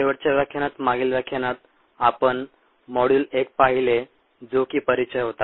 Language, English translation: Marathi, last lecture, previous lecture ah, we looked at module one, which is introduction